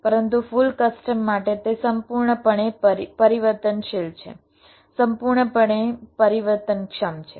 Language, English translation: Gujarati, but for full custom it is entirely variable, entirely flexible cell type